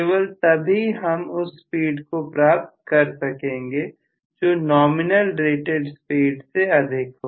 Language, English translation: Hindi, Only then I will be able to achieve a speed which is greater than the nominal rated speed